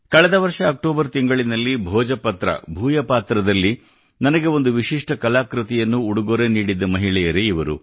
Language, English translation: Kannada, These are the women who had presented me a unique artwork on Bhojpatra in October last year